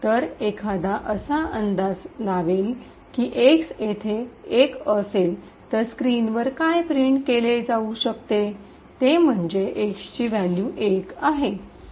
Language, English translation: Marathi, So, one would guess that since x is equal to one over here what would likely be printed on the screen is that the value of x is 1